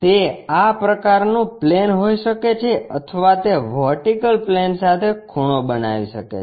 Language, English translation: Gujarati, It can be such kind of plane or it may be making inclined with vertical plane